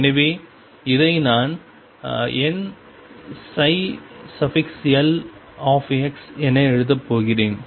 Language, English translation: Tamil, So, I am going to write this as n psi l x